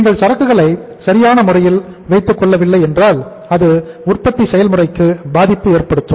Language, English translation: Tamil, If you do not keep inventory it may impact the production process